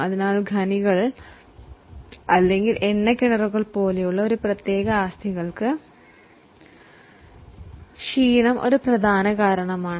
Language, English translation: Malayalam, So, for specific assets like mines or like oil wells, the exhaustion is a major reason for depreciation